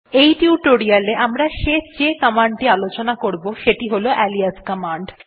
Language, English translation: Bengali, The last but quite important command we will see is the alias command